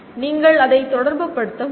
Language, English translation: Tamil, You should be able to relate to that